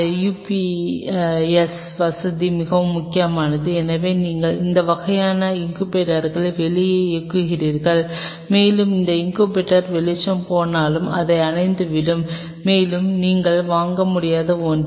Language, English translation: Tamil, This UPS facility is very important because of the obvious reason because your running all this kind of incubators out there, and these incubators if the light goes off they will go off and that something you would cannot afford